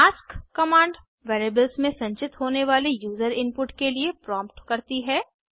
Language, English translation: Hindi, ask command prompts for user input to be stored in variables